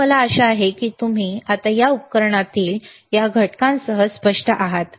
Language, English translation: Marathi, So, I hope now you are clear with thisese components within this equipment